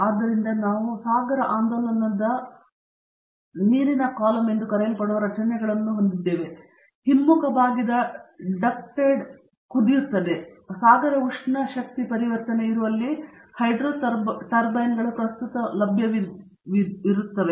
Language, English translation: Kannada, So, we have structures called ocean oscillating water column, backward bent ducted boil, hydro turbines wherever there is current available, ocean thermal energy conversion